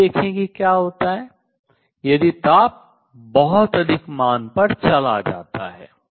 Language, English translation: Hindi, Let us see what happens if the temperature goes to a very large value